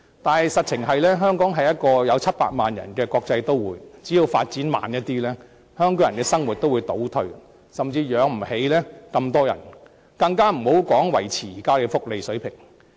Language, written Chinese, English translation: Cantonese, 但是，香港是一個有700萬人的國際都會，只要發展步伐稍為放緩，香港人的生活也會出現倒退，甚至養不起這麼多的人口，遑論維持現有福利水平。, However as Hong Kong is an international city with a population of 7 million the living standard of Hong Kong people will decline with just a slight slowing down of the pace of local development . Consequently our resources will be insufficient to support the population of 7 million let alone to maintain our welfare services at the current level